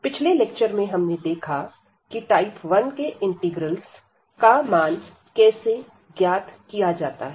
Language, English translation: Hindi, In the last lecture we have seen how to evaluate those integrals or the integrals of a type 1